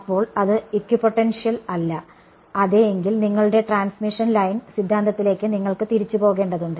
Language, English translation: Malayalam, Then it is not the equipotential, if yeah then you have to take recourse to your transmission line theory